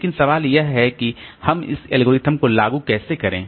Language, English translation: Hindi, But the question is how do we implement this algorithm